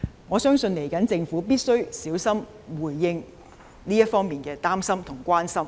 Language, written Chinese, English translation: Cantonese, 我相信政府必須小心回應這方面的擔憂及關心。, I believe the Government must respond carefully to such worries and concerns